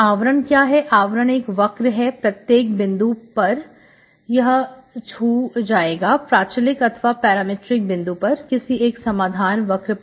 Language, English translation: Hindi, Envelope, any envelope is a curve, at every point it will touch one, one of the parametric, one of the solution curves, okay